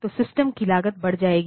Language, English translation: Hindi, So, the cost of the system will go up